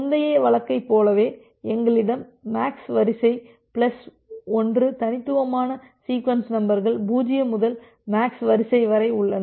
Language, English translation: Tamil, Similar to the earlier case, so, we have MAX sequence plus 1 distinct sequence numbers from 0 to MAX sequence